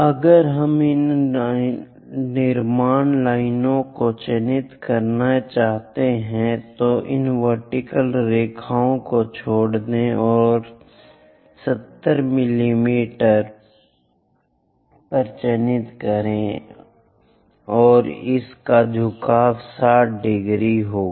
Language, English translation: Hindi, If we want to mark these construction lines, drop down these vertical lines and mark by arrows 70, and the other inclination is this is 60 degrees